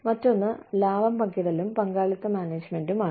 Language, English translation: Malayalam, The other is, profit sharing and participative management